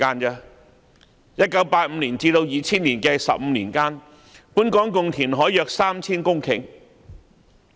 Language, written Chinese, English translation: Cantonese, 在1985年至2000年的15年間，本港共填海約 3,000 公頃。, During the 15 years between 1985 and 2000 around 3 000 hectares of land were created through reclamation in Hong Kong